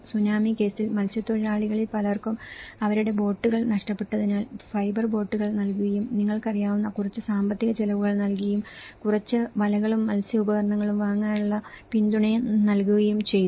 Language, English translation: Malayalam, In the Tsunami case, many of the fishermen lost their boats so immediately, the fibre boats have been provided and provided some financial expenditure you know, support to buy some nets and fish gear